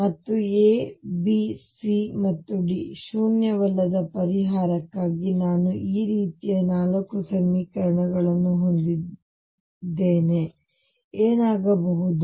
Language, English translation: Kannada, And I have 4 equations like this for a non zero solution of A B C and D what should happen